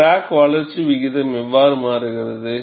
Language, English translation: Tamil, How does the crack growth rate changes